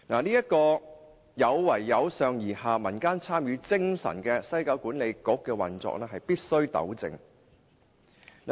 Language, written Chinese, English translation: Cantonese, 這個有違"由上而下，民間參與"精神的西九管理局的運作必須予以糾正。, Such an operation will go against the spirit of bottom - up public participation so it must be rectified